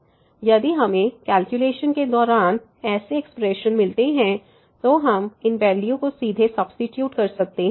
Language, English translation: Hindi, So, if we find such expressions during the calculations we can directly substitute these values